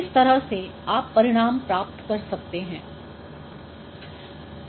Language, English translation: Hindi, So, in this way you can get this result